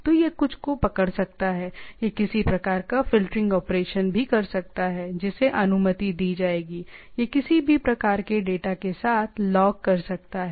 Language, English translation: Hindi, So, it can it can catch something, it can even do some sort of a filtering operations that who will be allowed, which type of data it can log data and type of thing